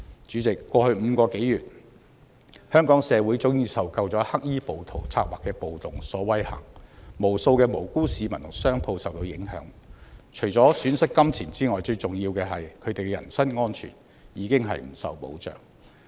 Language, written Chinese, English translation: Cantonese, 主席，過去5個多月，香港社會早已受夠黑衣暴徒策劃的暴動所威嚇，無數的無辜市民和商鋪受到影響，除了損失金錢之外，最重要的是人身安全已經不受保障。, President Hong Kong society has had enough of the threats posed by the black - clad rioters over the past five months . Not only have countless innocent people and businesses been affected but more importantly the personal safety of citizens is no longer ensured apart from financial losses